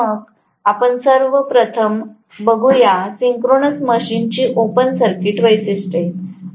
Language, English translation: Marathi, Let us try to first of all, look at the open circuit characteristics of a synchronous machine